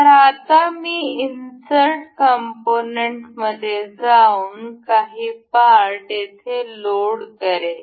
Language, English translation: Marathi, So, now, we go to insert components, we will load some of the parts over here